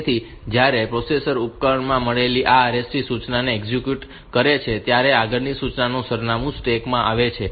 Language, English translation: Gujarati, So, when the processor executes this RST instruction received from the device it saves the address of the next instruction in the stack